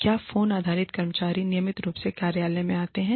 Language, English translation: Hindi, Have phone based workers, come into the office, on a regular basis